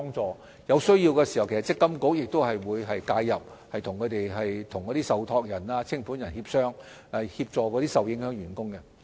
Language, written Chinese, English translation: Cantonese, 在有需要時，積金局亦會介入，與受託人及清盤人協商，協助受影響的員工。, When necessary MPFA will intervene in a case and negotiate with the trustee and the liquidator so as to assist affected employees